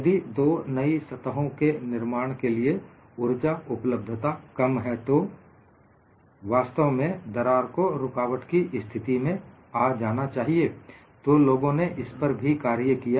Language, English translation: Hindi, So, if the energy availability is less than for the formation of two new cracks surfaces, then crack has to eventually come to a stop; so, for all that, people tweaked on this